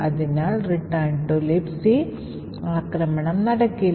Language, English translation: Malayalam, Therefore, it the return to libc attack would not work